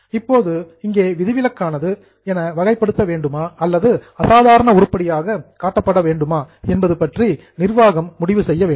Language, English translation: Tamil, Now here the judgment is given to the management whether a particular item is to be classified exceptional or to be shown as a normal item